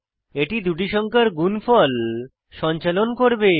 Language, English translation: Bengali, This will perform multiplication of two numbers